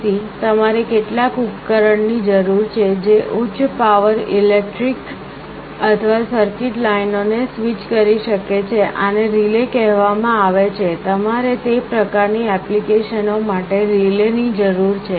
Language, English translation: Gujarati, So, you need some kind of a device which can switch high power electric or circuit lines, these are called relays; you need relays for those kind of applications